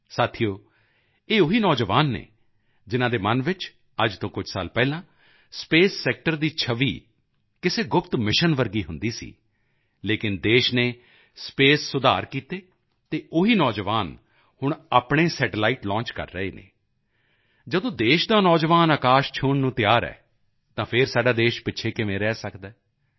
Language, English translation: Punjabi, Friends, these are the same youth, in whose mind the image of the space sector was like a secret mission a few years ago, but, the country undertook space reforms, and the same youth are now launching their own satellites